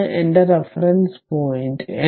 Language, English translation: Malayalam, So, this is my reference point